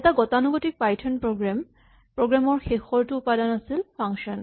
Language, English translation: Assamese, The last ingredient in our typical Python program is a function